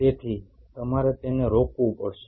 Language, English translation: Gujarati, So, you have to stop it